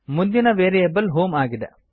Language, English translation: Kannada, The next variable is HOME